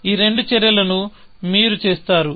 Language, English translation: Telugu, I have done two actions